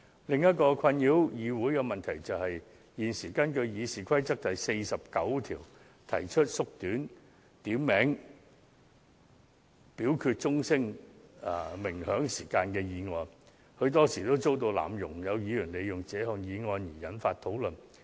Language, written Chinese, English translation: Cantonese, 另一個困擾議會的問題是，現時根據《議事規則》第49條提出縮短點名表決鐘聲鳴響時間的議案，很多時候也遭到濫用，有議員利用這項議案引發討論。, Another headache for this Council being the frequent abuse of motions moved under RoP 49 to shorten the duration of the ringing of division bell . Some Members attempted to manipulate the motion for provoking discussions